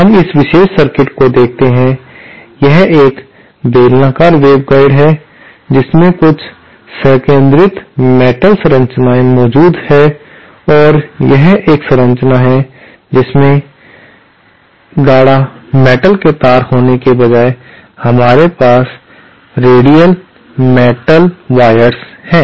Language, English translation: Hindi, Let us see this particular circuit, this is a cylindrical waveguide with some concentric metal structures present here and this is another structure which has instead of having concentric metal wires, we have radial metal wires